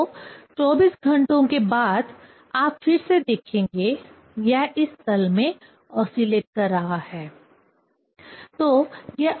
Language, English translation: Hindi, So, after 24 hours you will see again, it is oscillating in this plane